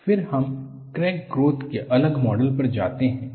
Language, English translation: Hindi, Then, we move on to the next model of crack growth